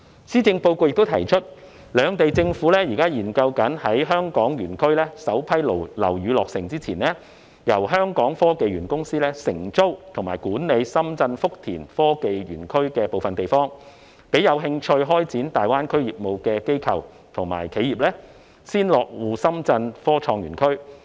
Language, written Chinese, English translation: Cantonese, 施政報告亦提出，兩地政府現時正研究在香港園區首批樓宇落成前，由香港科技園公司承租及管理深圳福田科創園區的部分地方，讓有興趣開展大灣區業務的機構和企業先落戶深圳科創園區。, As mentioned in the Policy Address the governments of Hong Kong and Shenzhen are exploring the feasibility of allowing the Hong Kong Science and Technology Parks Corporation HKSTPC to lease and manage certain areas of the Innovation and Technology Zone in Futian Shenzhen so that institutes and enterprises which are interested in starting their business in GBA can establish a presence in the Shenzhen Innovation and Technology Zone before the completion of the first batch of buildings in HSITP